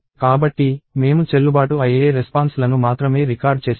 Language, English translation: Telugu, So, we will record only valid responses